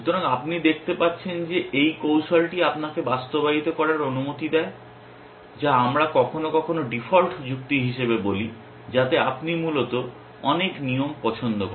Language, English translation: Bengali, So, you can see that this strategy allows you to implement what we sometimes call as default reasoning which is you like many rules essentially